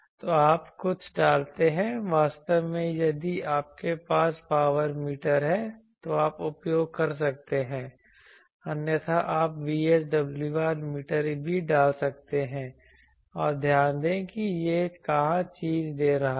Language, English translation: Hindi, So, there you put something actually instead of a if you have a power meter you can use otherwise you may VSWR meter also you can put and note where it is giving the thing